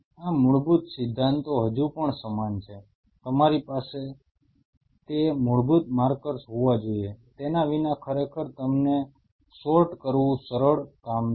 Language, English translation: Gujarati, Without this basic fundamentals still the same, you have to have those basic markers, without that really to sort them out is would not would not be easy job